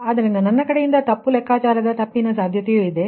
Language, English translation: Kannada, so there is a possibility of mistake calculation, mistake from my side also